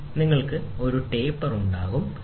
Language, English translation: Malayalam, So, you will have a taper, ok